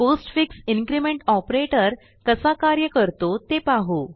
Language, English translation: Marathi, Lets see how the postfix increment operator works